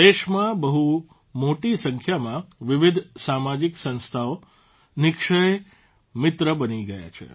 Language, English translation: Gujarati, A large number of varied social organizations have become Nikshay Mitra in the country